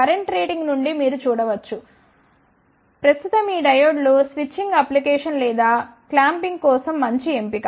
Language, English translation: Telugu, You can see from the current rating their current is relatively this these diodes are a good candidate for switching applications or flop clamping